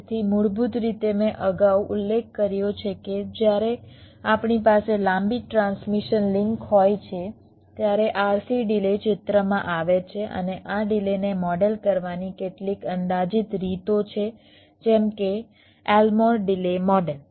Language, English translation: Gujarati, so basically, as i mentioned earlier, that when we have a long transmission link, the rc delay comes into the picture and there are some approximate ways to model this delays, like the lmo delay model